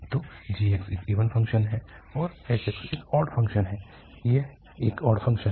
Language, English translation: Hindi, So, this is an even function and this is an odd function, this is an odd function